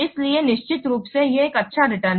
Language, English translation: Hindi, So, of course, it is a good return